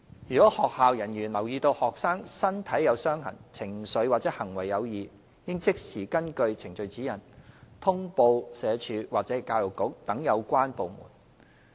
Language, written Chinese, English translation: Cantonese, 如學校人員留意到學生身體有傷痕、情緒或行為有異，應即時根據《程序指引》通報社署或教育局等有關部門。, If the school personnel notices wounds in a students body or identifies a student with emotional or behavioural problems they should report the case to the related government departments such as SWD or the Education Bureau according to the Procedural Guide